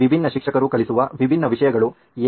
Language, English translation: Kannada, Why are there different subjects taught by different teachers